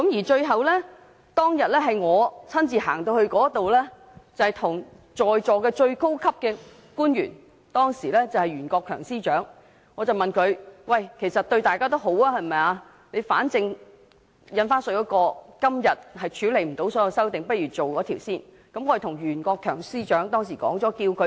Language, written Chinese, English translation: Cantonese, 最後，我當日親自對在座的最高級官員袁國強司長說，其實修訂對大家都有好處，反正今天無法處理《條例草案》的所有修正案，不如先審議該規例。, Finally on that day I said to Rimsky YUEN who was the most high - ranking official present the amendments were beneficial to all; since we could not deal with all the amendments related to the Bill on that day we might as well deal with the Regulation first